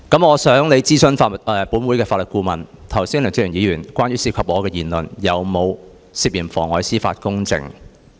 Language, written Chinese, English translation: Cantonese, 我想你諮詢本會法律顧問，剛才梁志祥議員有關我的言論有否涉嫌妨礙司法公正？, May I ask you to consult the Legal Advisor whether Mr LEUNG Che - cheungs remark about me just now was liable to perverting the course of justice?